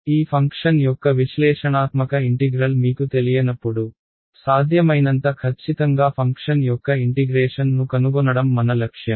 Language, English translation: Telugu, objective is find out the integral of a function as it accurately as possible, when I do not know the analytical integration of this function